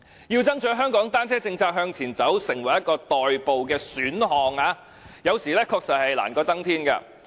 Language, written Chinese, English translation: Cantonese, 要推動香港單車政策向前走，成為代步的選項，有時確實是難過登天。, Sometimes it is an onerous task to push the bicycle policy in Hong Kong forward so that bicycles can become a means of commute